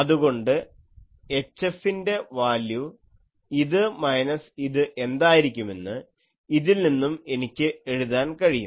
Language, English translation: Malayalam, So, from here I can write what is the value of H F will be this minus this